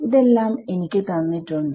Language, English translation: Malayalam, So, it is all given to me